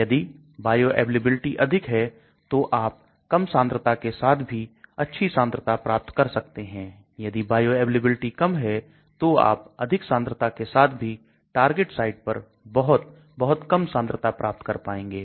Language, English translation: Hindi, If the bioavailability is large, so even with small concentration we achieve reasonably good concentration here and the bioavailability is poor even if you take very large concentration of the drug, the concentration available, at the target site may be very, very low